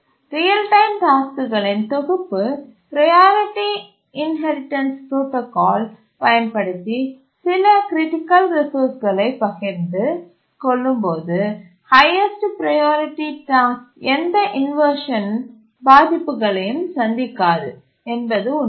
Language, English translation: Tamil, If we have a set of real time tasks that share critical resources and they are using the priority inheritance protocol, is it true that the highest priority task does not suffer any inversions